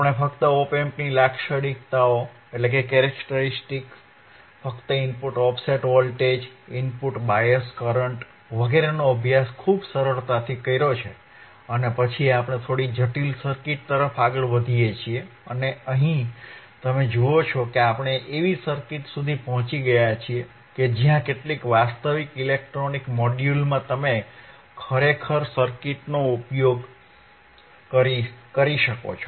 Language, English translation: Gujarati, We have studied just from characteristics of op amp, just input offset voltage, input bias current, very simple right and then we move to little bit complex circuits and here you see that we have reached to the circuits where you can really use the circuit in some actual electronic module